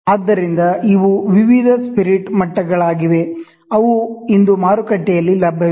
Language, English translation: Kannada, So, these are various spirit levels, which are available today in the market